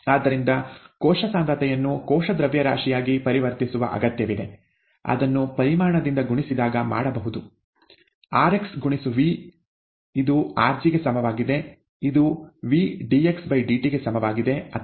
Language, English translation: Kannada, So cell concentration needs to be converted to cell mass, which can be done by multiplying it by the volume, rx into V equals rg, equals V dxdt